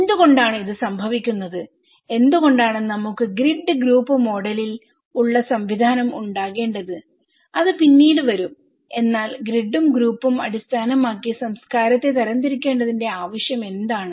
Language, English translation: Malayalam, Why it is so, why we need to have grid group kind of system which will come later but why we need categories the culture based on grid and group